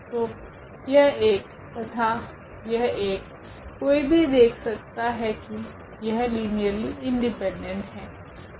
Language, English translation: Hindi, So, this one and this one, one can check where they are linearly independent